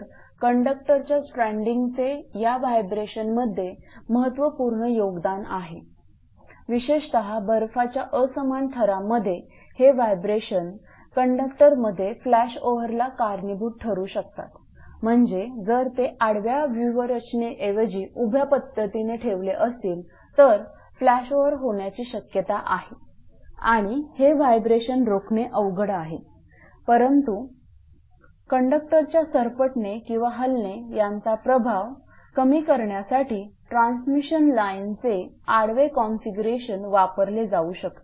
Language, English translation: Marathi, So, the stranding of conduct are significantly contributes to this vibration, particularly during your asymmetrical ice coating, these vibrations may cause flashover between conductors, I mean if they are vertically placed right, I mean instead of horizontal configuration if their configuration is vertical then there is a possibility of flash over because there is a strong possibility, and it is difficult to prevent this vibration, but horizontal configuration of transmission line can be used to reduce the impact of galloping or dancing of conductor